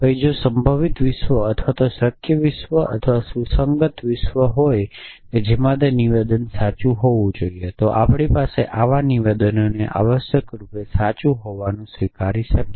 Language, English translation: Gujarati, Then if there is a possible world or a feasible world or a consistent world in which that statement were to be true then we can accept such a statement to be true essentially